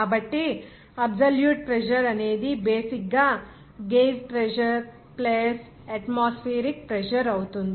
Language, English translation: Telugu, So, absolute pressure will be basically the gauge pressure plus atmospheric pressure